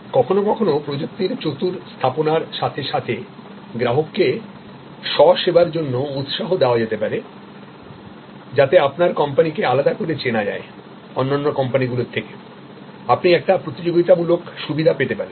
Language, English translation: Bengali, And sometimes with clever deployment of technology, encouraging the customer for self service can actually differentiate the company and you can give a competitive advantage